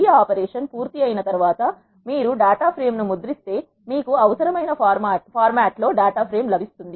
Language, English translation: Telugu, Once this operation is done, if you print the data frame this is how you will get the data frame in your required format